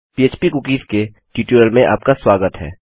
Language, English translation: Hindi, Welcome to this tutorial on php cookies